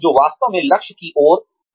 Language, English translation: Hindi, Which is, what one really aims towards